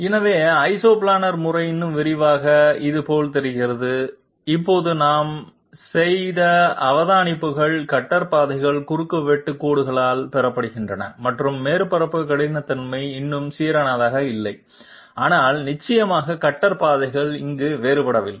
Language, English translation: Tamil, So Isoplanar method in more detail, it looks like this and the observations that we have made just now, cutter paths are obtained by intersection lines and the surface roughness is still not uniform, but of course the cutter paths are not diverging here